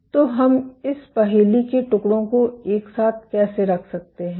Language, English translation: Hindi, So, how can we put the pieces of the puzzle together